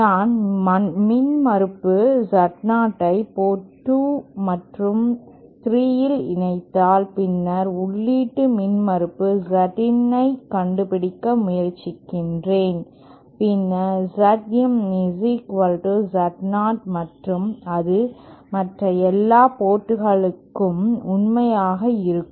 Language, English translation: Tamil, Suppose I connect impedance Z0 at ports 2 and 3 and then I try to find out the input impedance Z in, then Z in will be equal to Z0 and that will be true for all the other ports